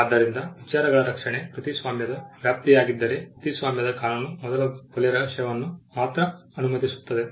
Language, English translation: Kannada, So, if protection of ideas was the scope of copyright then copyright law would only be allowing the first murder mystery